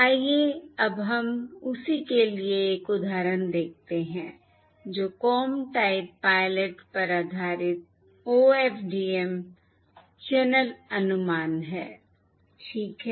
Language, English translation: Hindi, Let us now look at an example for the same thing, that is, Comb Type Pilot based OFDM channel estimation